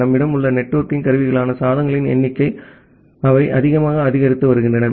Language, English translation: Tamil, And the number of devices that is the networking equipment that we have, they are increasing exponentially